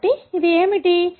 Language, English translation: Telugu, So, this is what it is